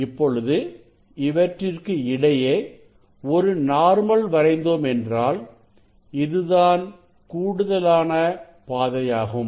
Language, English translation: Tamil, See if we draw a normal here; this path is same and additional path here